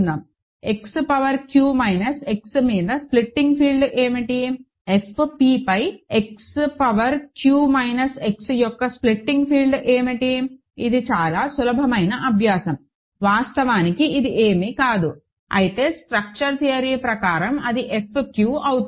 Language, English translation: Telugu, What is a splitting field of if X power q minus X over; what is the splitting field of X power q minus X over F p, this is a very simple exercise, it is actually nothing, but F q right by the structure theorem